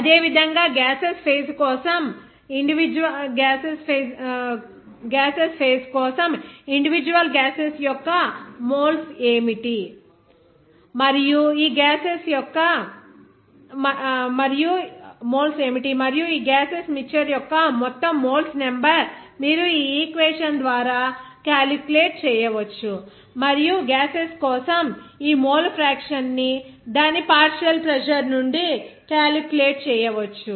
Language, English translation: Telugu, Similarly, for the gaseous phase also, what will be the moles of individual gas and upon the total number of moles of all gaseous mixture that you can calculate here by this equation, and also you can calculate this mole fraction for the gases from its partial pressure